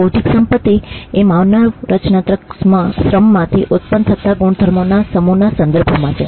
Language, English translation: Gujarati, Intellectual property refers to that set of properties that emanates from human creative labour